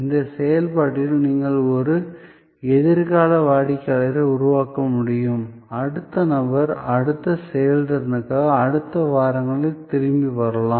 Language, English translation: Tamil, And in the process you may be able to create a future customer, the person may come back next weeks for the next performance